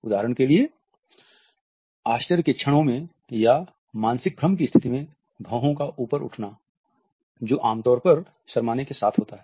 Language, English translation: Hindi, For example, the lifting of the eye brows in moments of surprise and the mental confusion which typically accompanies blushing